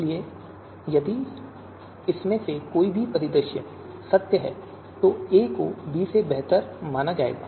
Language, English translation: Hindi, So any of these scenarios, if any of these scenario scenarios are true, then a is going to be considered as better than b